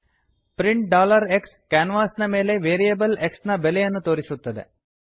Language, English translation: Kannada, print $x displays the value of variable x on the canvas